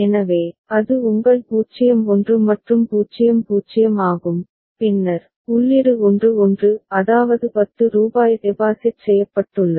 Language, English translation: Tamil, So, that is your 0 1 and 0 0 and then, the input is 1 1; that means, rupees 10 has been deposited